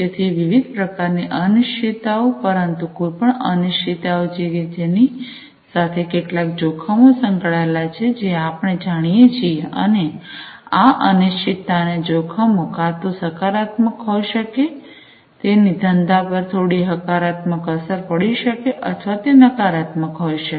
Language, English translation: Gujarati, So, uncertainty of different types, but any uncertainty as we know also has some associated risks, and this uncertainty and the risks can have either these can be either positive, they can have some positive impact on the business or it can be negative